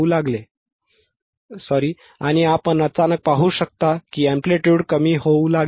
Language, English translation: Marathi, 12 and you can suddenly see that now the amplitude will start decreasing right yeah